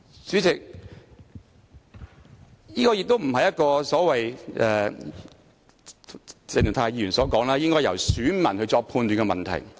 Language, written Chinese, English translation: Cantonese, 主席，這亦非如鄭松泰議員所說般應該由選民作出判斷的問題。, President it is also not an issue to be judged by voters as suggested by Dr CHENG Chung - tai